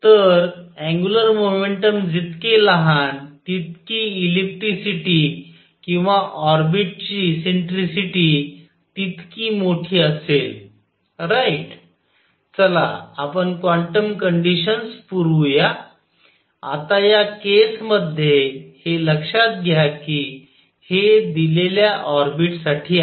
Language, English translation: Marathi, So, smaller the angular momentum larger the ellipticity or eccentricity of the orbit right now let us supply quantum condition, now in this case is notice that for a given orbit